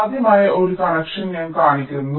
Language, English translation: Malayalam, this can be one possible connection